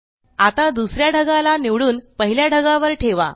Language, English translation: Marathi, Now, select cloud 2 and place it on cloud 1